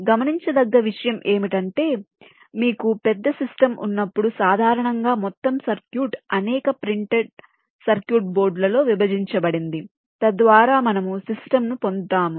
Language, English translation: Telugu, and the point to note is that when you have a large system, usually the total circuit is divided across a number of printed circuit boards, whereby we get the system